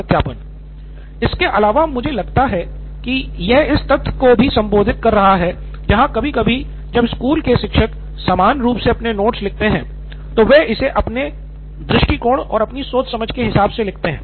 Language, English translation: Hindi, Also I think it also addresses the fact that sometimes when school teachers or teachers in general write their notes, they write it from their own perspective, their own understanding